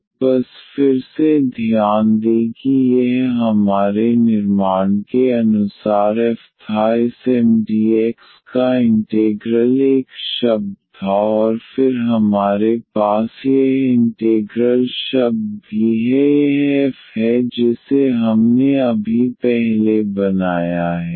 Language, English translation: Hindi, So, just to note again that this was the f as per our construction the integral of this Mdx was one term and then we have also this integral term this is f which we have just constructed before